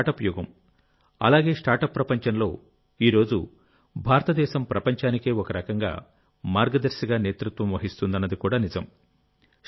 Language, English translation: Telugu, It is true, this is the era of startup, and it is also true that in the world of startup, India is leading in a way in the world today